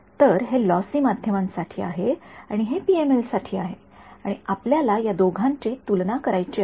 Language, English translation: Marathi, So, this is for lossy media and this is for PML and what we want to do is compare these two characters